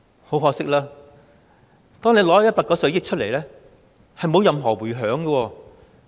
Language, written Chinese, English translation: Cantonese, 很可惜，即使政府撥出190億元，也是沒有任何迴響的。, Unfortunately even the Governments 19 billion allocation has not elicited any response